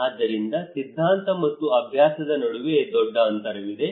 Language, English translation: Kannada, So there is a huge gap between theory and practice okay